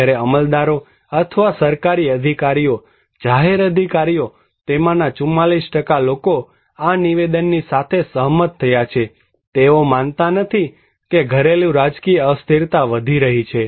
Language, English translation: Gujarati, Whereas the bureaucrats or the government officials, public officials, 44% of them agreed with this statement, they do not believe domestic political instability is increasing